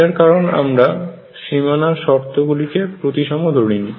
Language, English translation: Bengali, This is because we have not made the boundary conditions symmetric